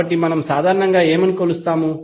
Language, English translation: Telugu, So, what we measure in general